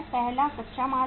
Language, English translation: Hindi, First is raw material